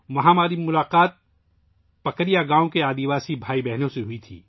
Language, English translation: Urdu, There I met tribal brothers and sisters of Pakaria village